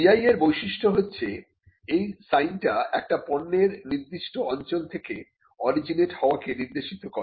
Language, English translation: Bengali, The characteristics of a GI is that a sign must identify a product as originating in a given place